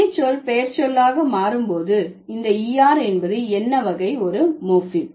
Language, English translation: Tamil, So when the verb changes to noun, this er, it becomes what kind of a morphem